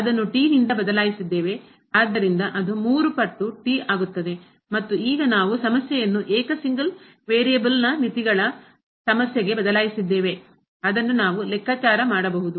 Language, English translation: Kannada, So, it becomes 3 times and now, we have changed the problem to the problem of limits of single variable which we can compute